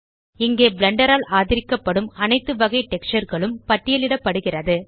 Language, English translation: Tamil, Here all types of textures supported by Blender are listed